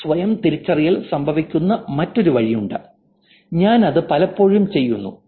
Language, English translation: Malayalam, There's also another way this self identification happens, which again I do it very often